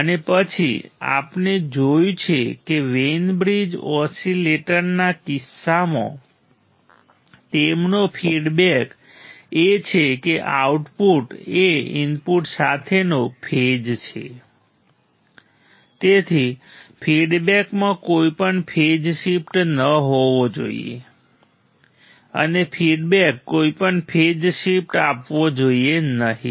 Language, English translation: Gujarati, And then we have seen that in case of Wein bride oscillators their feedback is there is the output is the phase with the input therefore, the feedback should not provide any phase shift the feedback should not provide any phase shift ok